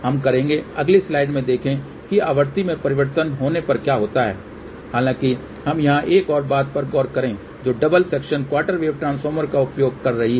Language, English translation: Hindi, We will see that in the next slide what happens as the frequency changer ; however, let us look into one more thing here which is a using double section quarter wave transformer